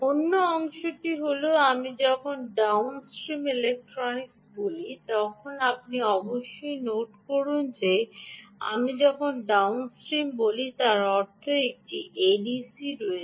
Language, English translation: Bengali, when i say downstream electronics you must also note that when i say downstream, this means that there is an a d c